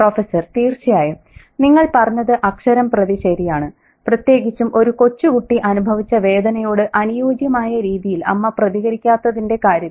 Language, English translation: Malayalam, Actually, you hit the nail on the head especially in terms of the mother not reacting in an appropriate manner to the agony suffered by a young kid